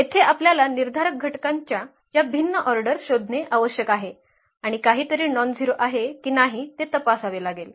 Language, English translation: Marathi, Here you have to look for these different orders of determinants and check whether something is nonzero